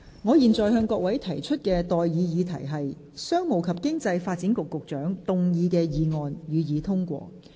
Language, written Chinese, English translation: Cantonese, 我現在向各位提出的待議議題是：商務及經濟發展局局長動議的議案，予以通過。, I now propose the question to you and that is That the motion moved by the Secretary for Commerce and Economic Development be passed